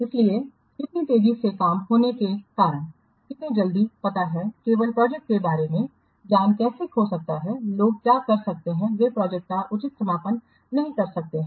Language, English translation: Hindi, So due to underestimation of how fast, how quickly the know how all the knowledge regarding the project it can get lost, people may not do the proper closing of the project